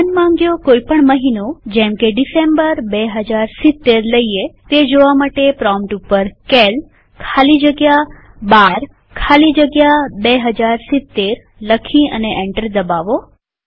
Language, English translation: Gujarati, To see the calendar of any arbitrary month say december 2070 type at the prompt cal space 12 space 2070 and press enter